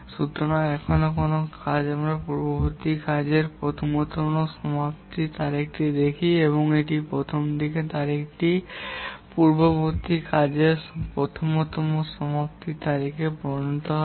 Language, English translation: Bengali, So any task here, we'll look at the earliest finish date for the previous task and the earliest start date of this will become the earliest finish date of the previous task